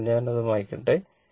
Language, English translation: Malayalam, So, let me delete it